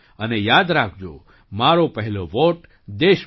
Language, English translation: Gujarati, And do remember 'My first vote for the country'